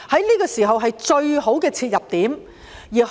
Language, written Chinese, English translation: Cantonese, 這個時候是最好的切入點。, This is the best timing for taking actions